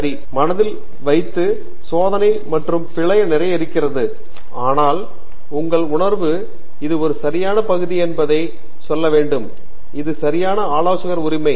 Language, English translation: Tamil, Right so keep that in mind there is a lot of trial and error; but your gut feeling will tell you whether this is a right area and this is a right advisor right